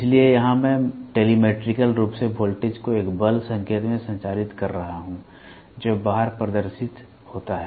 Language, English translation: Hindi, So, here I am telemetrically communicating the voltage into a force signal which is displayed outside